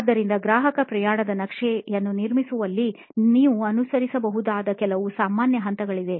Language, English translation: Kannada, So, there are a few generic steps that you can follow in constructing a customer journey map